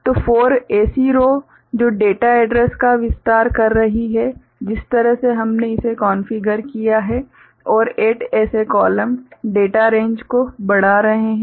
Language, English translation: Hindi, So, 4 such rows which is expanding the data address range the way we have configured it and 8 such columns increasing the data range